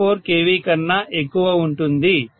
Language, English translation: Telugu, 4 KV, more than 2